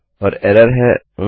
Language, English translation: Hindi, And the error is Oh